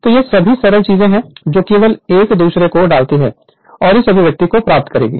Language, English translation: Hindi, So, these are all simple things just put one upon another and you will get this expression right